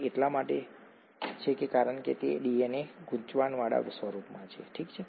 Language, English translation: Gujarati, That is because the DNA is in a coiled form, okay